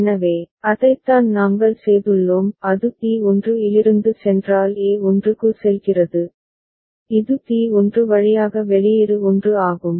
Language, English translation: Tamil, So, that is what we have done; and if it goes from T1 goes to a1 which is output 1 via T1